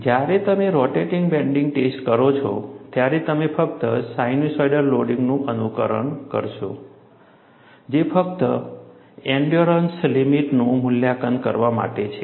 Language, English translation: Gujarati, When you do the rotating bending test, you will simulate only a sinusoidal loading, which is only for evaluating the endurance limit